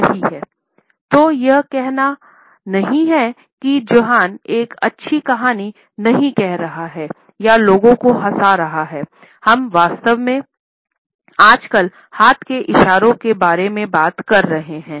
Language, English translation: Hindi, So, this is not to say that Jonah is not telling a good story or making people laugh, we are actually talking just about hand gesticulations today